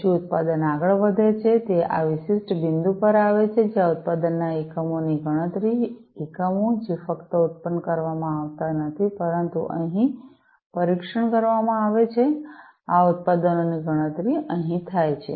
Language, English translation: Gujarati, Then the product moves on comes to this particular point, where the counting of the number of units of production, and you know, the units, which have been not only produced, but tested over here this counting takes place counting of these products takes place